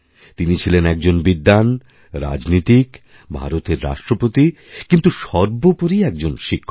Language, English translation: Bengali, He was a scholar, a diplomat, the President of India and yet, quintessentially a teacher